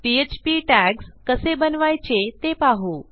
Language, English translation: Marathi, Let us see how to create our php tags